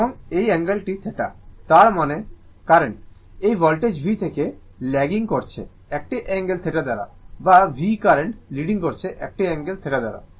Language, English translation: Bengali, And this angle is theta, that means current I is lagging from this voltage V by an angle theta or V is leading the current I by an angle theta right